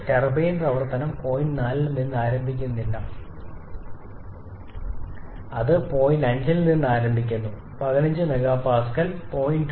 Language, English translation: Malayalam, And the turbine operation does not start from point 4, it starts from point 5 which has this particular reading of 15 MPa that is there is a 0